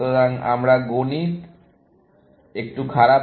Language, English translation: Bengali, So, my mathematics is a bit week